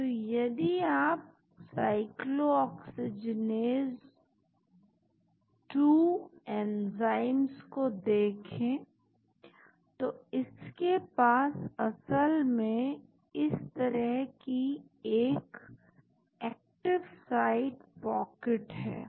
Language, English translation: Hindi, So, if you look at the cyclooxygen is 2 enzymes, it has got an active site pocket like this actually